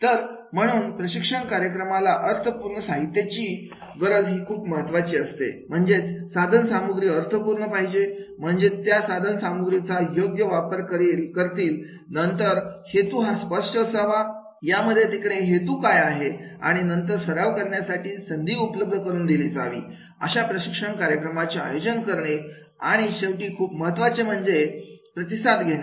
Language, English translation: Marathi, So therefore the training programs requires a meaningful material is important that is the yes the contents are meaningful they can make the use of those contents, then the objectives are clear that what are the objectives are there and then the opportunities are to be there for the practice the conducting the training programs and finally the feedback will be the most important